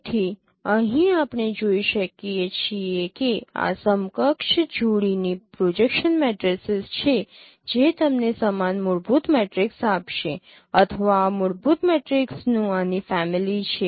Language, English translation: Gujarati, So here you can see that this is the this is these are the equivalent pairs of projection matrices which will give you the same fundamental matrices or this is a family of fundamental matrices